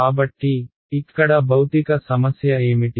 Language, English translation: Telugu, So, what is the physical problem over here